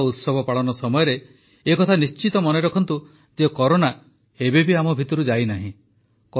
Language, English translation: Odia, At the time of festivals and celebrations, you must remember that Corona has not yet gone from amongst us